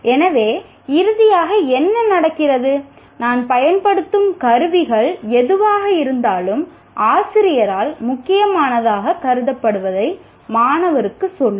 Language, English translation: Tamil, So what happens is, the finally whatever the tools that I use will tell the student what is considered important by the teacher